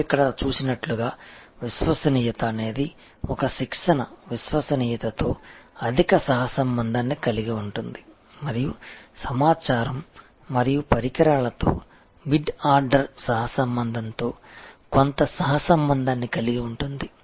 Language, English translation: Telugu, As you see here reliability has a high correlation with a training reliability has somewhat correlation with mid order correlation with information and equipment